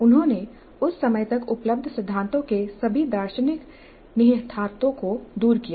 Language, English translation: Hindi, He distilled all the philosophical implications of the theories available up to that time